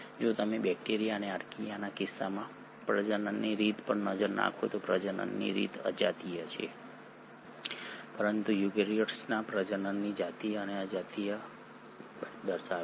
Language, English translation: Gujarati, If you look at the mode of reproduction in case of bacteria and Archaea the mode of reproduction is asexual, but eukaryotes exhibit both sexual and asexual mode of reproduction